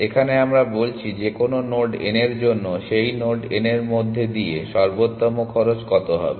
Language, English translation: Bengali, Here we are saying that for any node n what is the optimal cost going through that node n